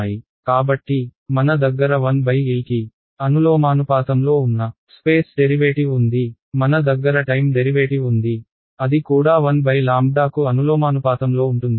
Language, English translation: Telugu, So, I have a space derivative which is proportional to 1 by L, I have a time derivative which is proportional to 1 by lambda ok